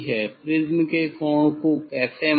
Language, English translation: Hindi, how to measure the angle of prism